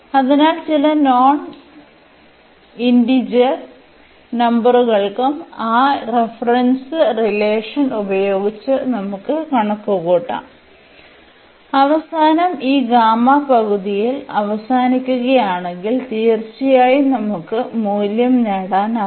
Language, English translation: Malayalam, So, for some non integer number as well we can compute using that reference relation and at the end if we end up with this gamma half then certainly we can get the value